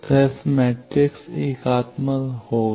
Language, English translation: Hindi, So, the s matrix will be unitary